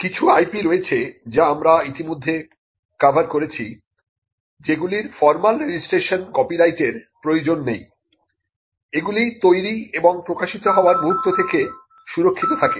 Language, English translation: Bengali, There are some IP which we have already covered which do not require a formal registration copyright the moment it is created and published it gets protected